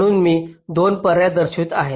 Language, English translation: Marathi, so i am showing two alternatives